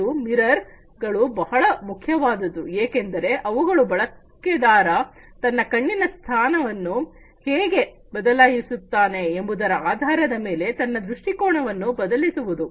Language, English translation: Kannada, And these mirrors are very important because they can basically you know they can change the orientation based on how the users’ eye, how the users’ eye changes its position